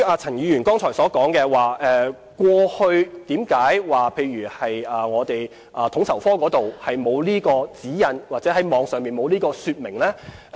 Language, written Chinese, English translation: Cantonese, 陳議員剛才提及，過去為何統籌科沒有相關指引或網站沒有相關說明呢？, Mr CHAN just asked why FSO did not have the guidelines concerned or why the website did not have the relevant information